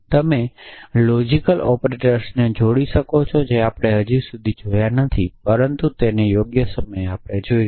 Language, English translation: Gujarati, So, you can combine logical operators which I am not seen so far, but we will see them in due course